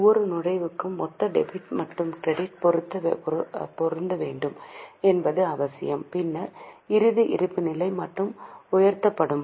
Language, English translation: Tamil, It is necessary that total of debit and credit should match for every entry, then only the final balance sheet will be tallied